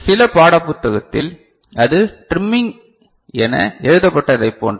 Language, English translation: Tamil, In some textbook, you will see that is same as written as trimming